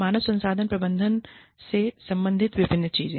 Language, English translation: Hindi, Various things related to, human resources management